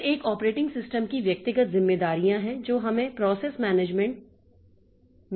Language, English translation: Hindi, Then individual responsibilities of an operating system, we have got process management